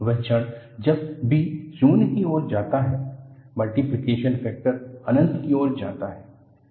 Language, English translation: Hindi, The moment when b tends to 0, the multiplication factor goes to infinity